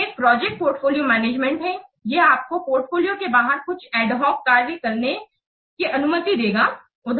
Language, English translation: Hindi, This project portfolio management, it allows you to carry out some ad hoc tax outside the portfolio